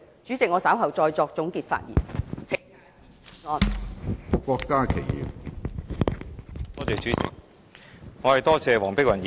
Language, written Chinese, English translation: Cantonese, 主席，我稍後再作總結發言，請大家支持議案。, President I will deliver my concluding speech later . I implore Honourable Members to support this motion